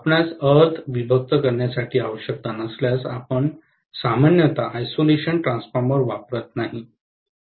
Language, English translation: Marathi, Unless you have a requirement to separate the earth, you generally do not use an isolation transformer